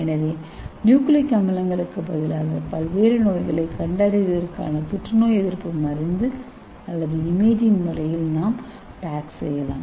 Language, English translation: Tamil, So instead of nucleic acid we can put our anti cancer drug or you can put a imaging agent for diagnosing various diseases